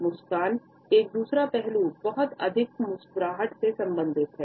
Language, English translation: Hindi, Another aspect of a smile is related with too much smiling